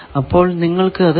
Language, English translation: Malayalam, So, you can find out it is 9